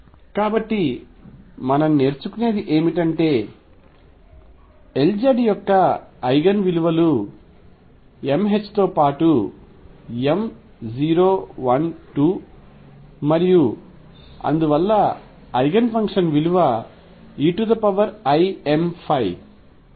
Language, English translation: Telugu, So, what we learn is that the Eigen values of L z are m h cross with m being 0 plus minus 1 plus minus 2 and so on and the Eigenfunctions are e raise to i